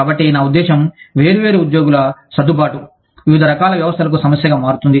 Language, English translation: Telugu, So, i mean, adjustment of different employees, to different kinds of systems, becomes a problem